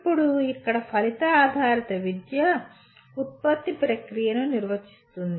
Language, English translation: Telugu, Now here in outcome based education product defines the process